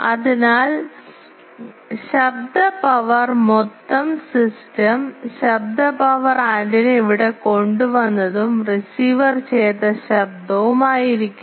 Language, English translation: Malayalam, So, noise power total system noise power will be whatever antenna has brought up to here, plus the noise added by the receiver